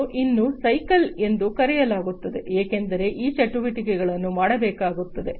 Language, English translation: Kannada, And it is called a cycle because these activities will have to be done